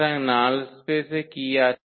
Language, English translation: Bengali, So, what is in the null space